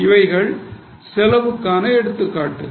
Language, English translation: Tamil, All these are included as an example of costs